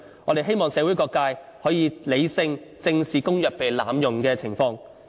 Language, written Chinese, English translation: Cantonese, 我們希望社會各界可以理性正視公約被濫用的情況。, We hope various sectors of the community can face the abuse of the Convention squarely and sensibly